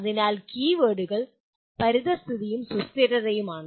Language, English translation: Malayalam, So the keywords are environment and sustainability